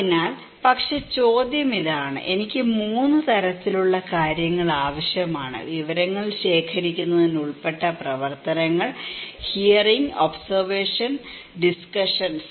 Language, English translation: Malayalam, So, but the question is; I need 3 kind of things, activities to be involved to collect information; one is hearing, observation and discussions